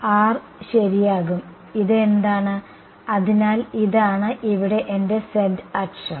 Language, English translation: Malayalam, And the R is going to be ok, and what is this, so this is my z axis over here right